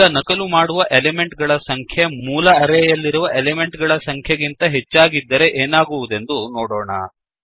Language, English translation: Kannada, Let us see what happens if the no.of elements to be copied is greater than the total no.of elements in the array